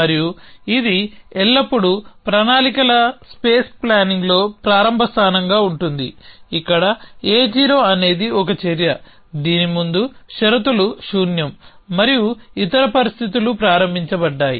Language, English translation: Telugu, And that is always the starting position for such in plans space planning where A 0 if remember is an action whose pre conditions are nil and post condition are others started